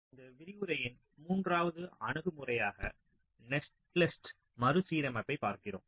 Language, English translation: Tamil, so we look at the third broad approach in this lecture: netlist restructuring